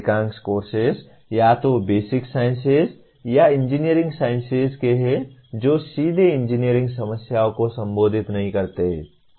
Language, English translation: Hindi, Majority of courses belong to either Basic Sciences or Engineering Sciences which do not address engineering problems directly